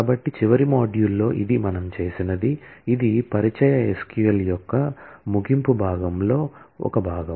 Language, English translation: Telugu, So, in the last module this is what we have done which was part of the closing part of the introductory SQL